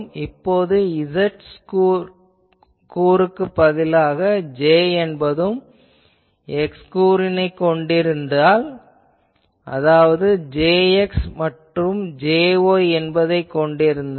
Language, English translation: Tamil, Now we say that instead of z component suppose J also has a x component; that means, it has a Jx and also a Jy